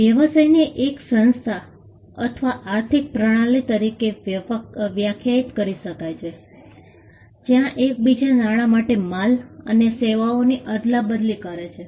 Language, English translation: Gujarati, A business can be defined as, an organization or an economic system, where goods and services are exchanged for one another of money